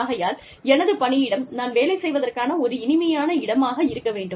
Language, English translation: Tamil, I need my, in my workplace, to be a pleasant place to work in